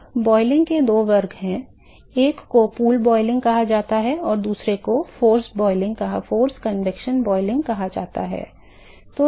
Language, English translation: Hindi, So, there are two classes of boiling, one is called the pool boiling and the other one is called the forced convection boiling